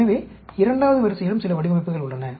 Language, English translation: Tamil, So, there are some designs in second order also